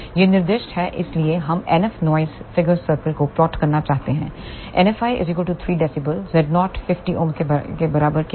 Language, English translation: Hindi, These are specified so we want to plot noise figure cycle for NF i equal to 3 dB z 0 is 50 ohm